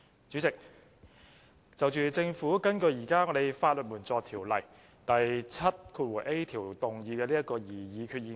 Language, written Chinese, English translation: Cantonese, 主席，政府根據現時《法律援助條例》第 7a 條，動議擬議決議案。, President the Government has moved a resolution pursuant to section 7a of the Legal Aid Ordinance